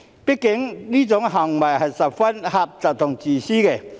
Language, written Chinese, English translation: Cantonese, 畢竟，這種行為是十分狹隘自私的。, After all such behaviour is exceedingly bigoted and selfish